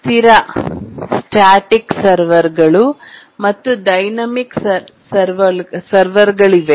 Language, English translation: Kannada, There are static servers and dynamic servers